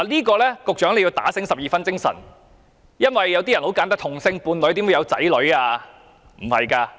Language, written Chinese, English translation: Cantonese, 局長必須打醒十二分精神，因為有人會問，同性伴侶怎會有子女呢？, Secretary you must listen to me carefully because someone may ask How can same - sex couples have children?